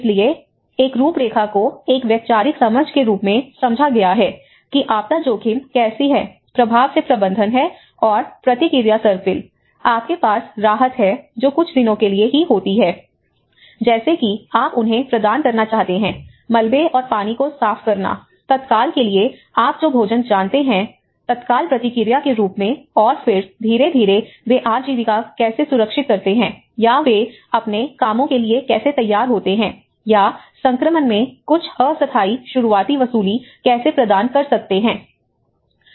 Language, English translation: Hindi, So, a framework have been understood a conceptual understanding how a disaster risk management and response spiral from the impact, you have the relief which happens only for a few days like providing you know securing them, clearing the debris and water, food you know for the immediate, as immediate response and then gradually how they secure the livelihoods or how they get on to their works or how they can provide some temporary early recovery in transition